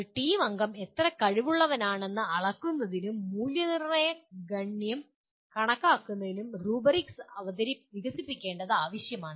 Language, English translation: Malayalam, It is necessary to develop rubrics to measure how good a team member one is and make the evaluation count